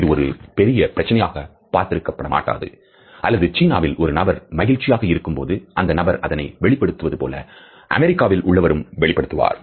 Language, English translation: Tamil, While this might not seem like a large issue or one would think that if a person is happy in China, they will show it the same way as if Americans do